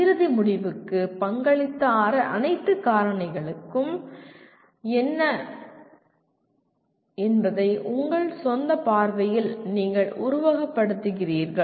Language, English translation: Tamil, You capture in your own view what are all the factors that contributed to the end result